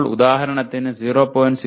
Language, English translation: Malayalam, Now for example instead of 0